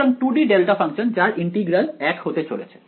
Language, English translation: Bengali, So, 2 D delta functions so its integral is just going to be equal to 1